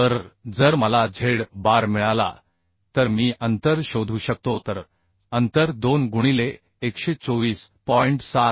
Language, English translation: Marathi, 76 millimetre right So if I get z bar then I can find out the spacing so spacing will be 2 into 124